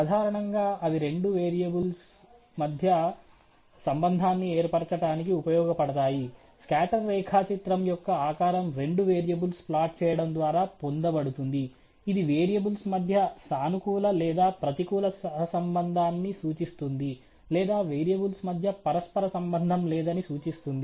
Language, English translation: Telugu, Typically, it is useful in establishing a relationship between two variables; the shape of the scatter diagram is obtained by plotting the two variables, it may indicate a positive or negative correlation between the variables or no correlation at all